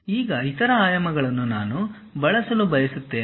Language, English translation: Kannada, Now, other dimensions I would like to use